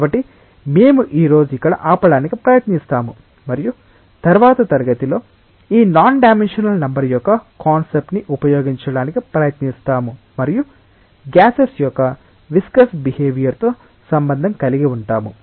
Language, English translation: Telugu, So, we will try to stop here today and in the next class we will try to utilize the concept of this non dimensional number and relate it with the viscous behaviour for gases ok